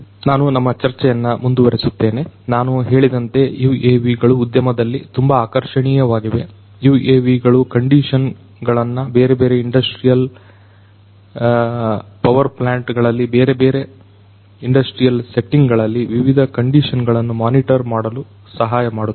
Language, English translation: Kannada, So, let me now go back and continue with our discussions so I was telling you that UAVs are very attractive in the industry; UAVs could help in you know monitoring the conditions, different types of conditions in the industrial power plants, in the different industrial settings